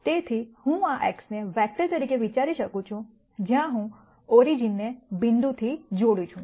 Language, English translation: Gujarati, So, I could think of this X as a vector, where I connect origin to the point